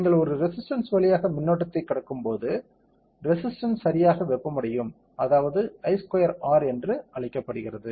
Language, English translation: Tamil, When you pass current through a resistor, the resistor will get heated up right, that is called I square are heating